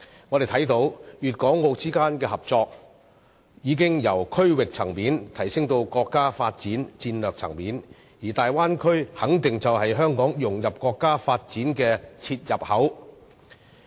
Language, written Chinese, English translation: Cantonese, 我們看到粵港澳之間的合作，已由區域層面提升至國家發展戰略層面，而大灣區肯定就是香港融入國家發展的切入口。, It is now evident that the cooperation of Guangdong Hong Kong and Macao has ascended from the regional level to the level of national strategic development with the Bay Area being the very point where Hong Kong can fit into the countrys overall scheme of development